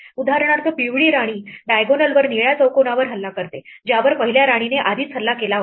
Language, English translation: Marathi, For instance the yellow queen attacks the blue square on the diagonal which was already attacked by the first queen